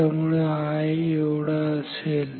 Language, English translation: Marathi, So, this will be